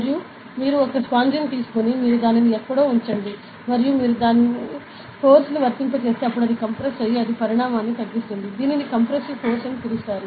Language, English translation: Telugu, And you take a sponge you keep it somewhere and you apply force, then it compressor right and it reduces the size; this is called as compressive force, ok